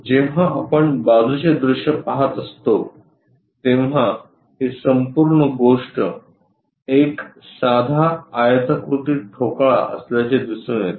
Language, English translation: Marathi, When we are looking side view, this entire thing turns out to be a simple rectangular block